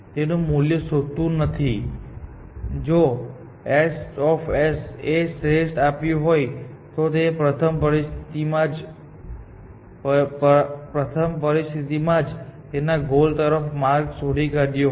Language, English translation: Gujarati, If it does not find the value, if h of s was perfect, then within the first situation itself, it would have found a path to the goal